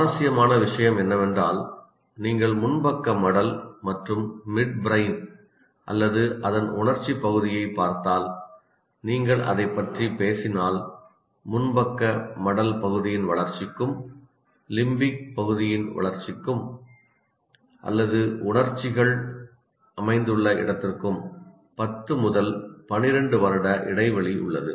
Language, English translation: Tamil, The interesting thing about this is the if you look at the frontal lobe and also the midbrain or the emotional part of it, if you talk about that, there is a 10 to 12 year gap between the developmental frontal lobe and that of the limbic area or where the emotions are situated